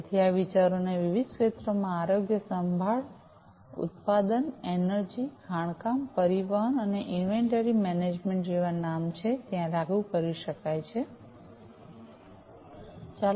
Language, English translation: Gujarati, So, these ideas could be implemented in different sectors healthcare, manufacturing, energy, mining, transportation and inventory management are a few to name